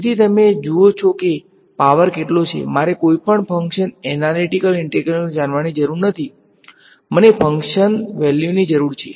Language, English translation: Gujarati, So, you see how much of a power this is, I do not need to know the analytical integral of any function; I just need function values